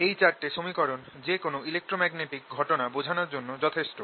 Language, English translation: Bengali, these are sufficient to describe any electromagnetic phenomena